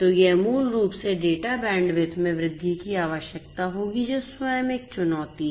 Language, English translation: Hindi, So, this basically will require an increase in the data bandwidth which is itself a challenge